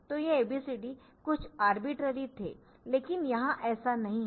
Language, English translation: Hindi, So, these ABCDs were a bit arbitrary, but here it is not